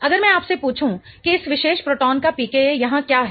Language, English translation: Hindi, If I ask you what is the pk of this particular proton here